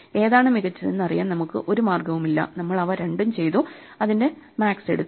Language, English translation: Malayalam, We had no way of knowing which is better, so we did them both and took the max